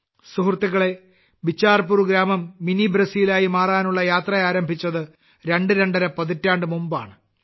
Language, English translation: Malayalam, Friends, The journey of Bichharpur village to become Mini Brazil commenced twoandahalf decades ago